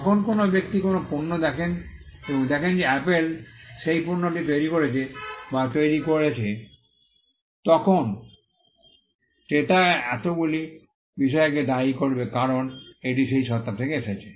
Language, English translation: Bengali, When a person looks at a product and sees that Apple has created or designed that product then, the buyer would attribute so many things because, it has come from that entity